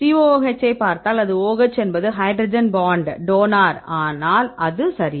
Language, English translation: Tamil, Here if you see the COOH it is OH is hydrogen bond donor, but this is not right